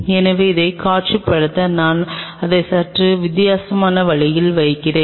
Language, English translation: Tamil, So, just to visualize it let me just put it A slightly different way